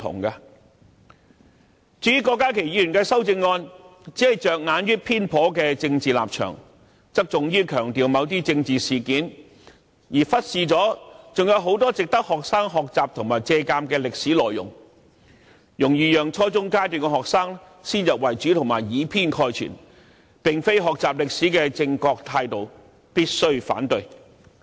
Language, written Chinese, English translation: Cantonese, 至於郭家麒議員的修正案，內容只着眼於偏頗的政治立場及側重於強調某些政治事件，卻忽視了還有很多值得學生學習和借鑒的歷史內容，容易讓初中階段的學生先入為主及以偏概全，這並非學習歷史的正確取態，必須反對。, Dr KWOK Ka - kis amendment only focuses on a biased political stance over - emphasizes certain political incidents and neglects the many more historical events which are worthy of study and reflection by students . This approach will easily give students a wrong impression and a sweeping generalization . That is not the correct way of learning history